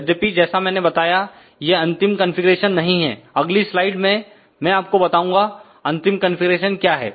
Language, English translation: Hindi, However, as I mentioned this is not the final configuration; in the next slide I will show you what is the final configuration